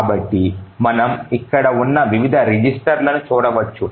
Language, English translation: Telugu, So we can look into the various registers which are present